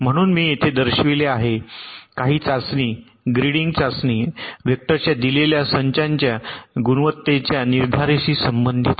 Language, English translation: Marathi, test grading concerns the determination of the quality of a given set of test vectors